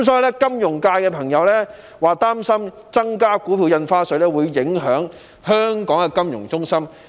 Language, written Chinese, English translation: Cantonese, 有金融界朋友表示，擔心增加股票印花稅會影響香港的金融中心地位。, Some members of the financial sector have expressed their worries that the increase in Stamp Duty may affect Hong Kongs status as a financial centre